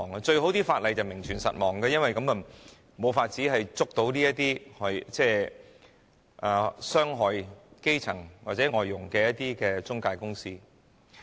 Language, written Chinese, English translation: Cantonese, 對他們來說，法例最好名存實亡，因為這樣便無法控告這些傷害基層或外傭的中介公司。, They would consider it best for the law to exist in name only because it would be impossible to prosecute these intermediaries that have harmed the grass roots or foreign domestic helpers